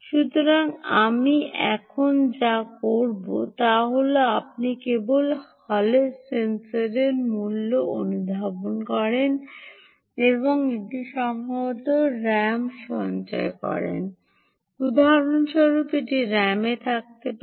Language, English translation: Bengali, so what you do now is you just sense the value of the hall sensor and store it in, perhaps in ram, for instance, for example, it could be in ram, ok